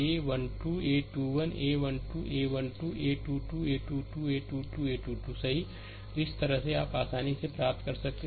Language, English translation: Hindi, And a 2 1, a 2 2, a 2 3, a 2 1, a 2 2 you repeat, you make it like this